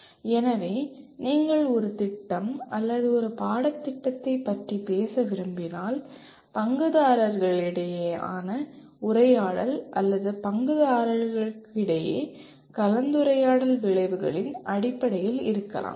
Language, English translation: Tamil, So if you want to talk about a program or a course the conversation between the stakeholders or the discussion among the stakeholders can be in terms of outcomes